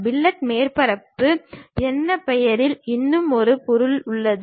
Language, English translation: Tamil, There is one more object named fillet surface